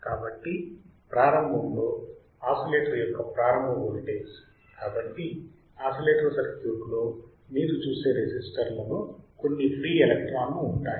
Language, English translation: Telugu, So, the starting voltage the starting voltage of the oscillator, so every resistance you see the resistance in the oscillator circuit, every resistance has some free electrons